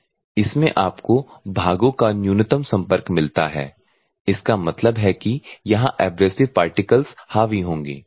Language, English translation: Hindi, So, 5 : 1 if at all you want to go for this one minimal part contact; that means, that abrasive particles will dominate here